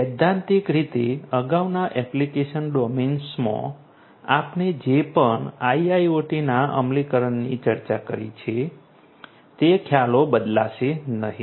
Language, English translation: Gujarati, Conceptually whatever we have discussed about the implementation of IIoT in the previous application domains, those concepts will not change